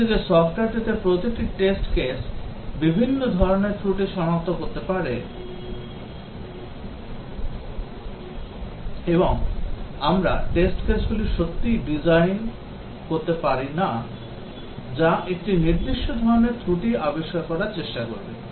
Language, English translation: Bengali, On the other hand, in software each test case can detect several types of faults, and we cannot really design test cases which will try to discover a specific type of fault